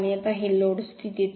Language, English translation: Marathi, Now this is on no load condition